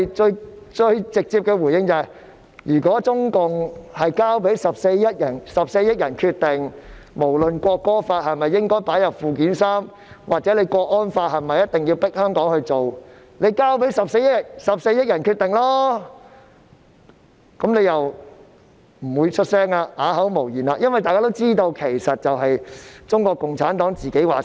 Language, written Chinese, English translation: Cantonese, 就此，我們最直接的回應是，如果中共真的會交給14億人決定，不論是《國歌法》應否加入附件三，或者是否一定要強迫香港人執行港區國安法，請交給14億人決定吧，但他們聽到後又會不作聲，只能啞口無言，因為大家都知道，事實就是中國共產黨說了算。, In this connection our direct response is that if CPC really allows the 1.4 billion people to decide whether or not the National Anthem Law should be included in Annex III and whether or not the people of Hong Kong should be forced to implement the Hong Kong national security law please let the 1.4 billion people make the decision . Yet when they hear this they keep silent . They are struck dumb